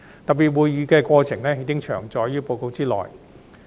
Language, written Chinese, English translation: Cantonese, 特別會議的過程已詳載於報告內。, The proceedings of the special meetings are set out in the report